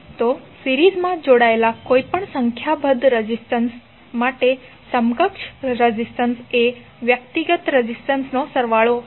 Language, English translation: Gujarati, So, equivalent resistance for any number of resistors connected in series would be the summation of individual resistances